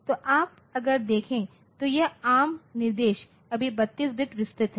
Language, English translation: Hindi, So, you see that if you look into this ARM instruction so this ARM instructions are all 32 bit wide